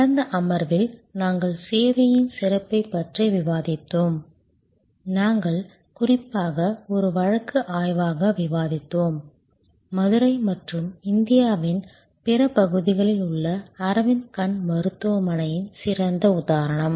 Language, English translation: Tamil, Last session we were discussing about Service Excellence, we were particularly discussing as a case study, the great example of Arvind eye hospital in Madurai and other parts of India now